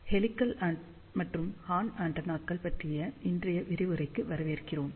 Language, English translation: Tamil, Hello, and welcome to today's lecture on Helical and Horn Antennas